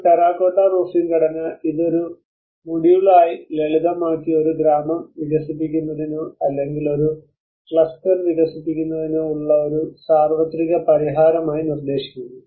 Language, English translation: Malayalam, So as a terracotta roofing structure may have simplified this as a module and proposing it as a kind of universal solution to develop a village or to develop a cluster whatever it might